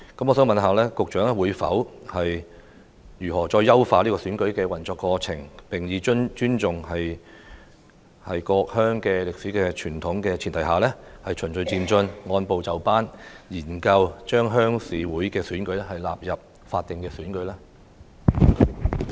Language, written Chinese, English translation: Cantonese, 我想問局長會如何優化選舉過程，並在尊重各鄉歷史傳統的前提下，以循序漸進及按部就班的方式，研究把鄉事會的選舉納入法定選舉的規管？, May I ask how the Secretary is going to enhance the election proceedings and on the premise of respecting the history and tradition of various villages consider bringing RC elections within the ambit of statutory elections in a gradual and orderly manner?